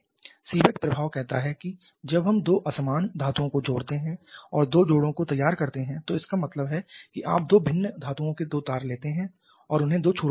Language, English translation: Hindi, Seebeck effect is says that when we connect two dissimilar metals and prepare two joints that means you take two wears up to be similar metals and connect them at two ends